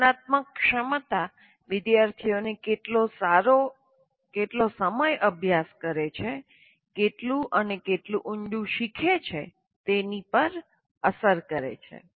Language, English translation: Gujarati, So metacognitive ability affects how well and how long students study, how much and how deeply the students learn